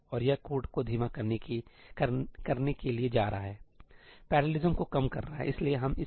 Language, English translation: Hindi, And that is going to slow down the code, right reduce parallelism